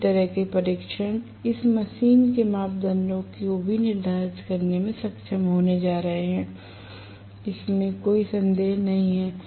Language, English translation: Hindi, Similar tests are going to be able to determine the parameters for this machine as well, no doubt